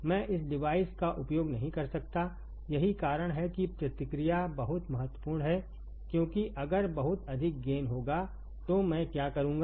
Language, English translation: Hindi, I cannot use this device that is why that is why the feedback is very important right because what will I do if I have gain of very high gain